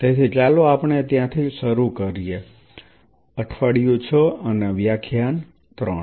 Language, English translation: Gujarati, So, let us pick it up from there, week 6 a lecture 3